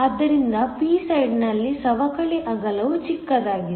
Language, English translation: Kannada, So, the depletion width on the p side is smaller